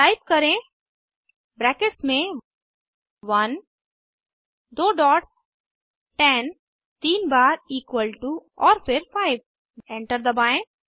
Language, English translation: Hindi, Type Within brackets 1 two dots 10 three times equal to and then 5 Press Enter